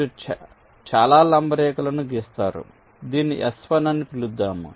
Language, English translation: Telugu, you run ah perpendicular line like this, call this s one